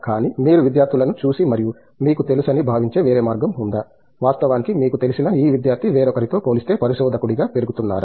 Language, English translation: Telugu, But, is there any other way in which you look at students and feel that you know, in fact, this student you know is growing as a researcher compared to somebody else that you see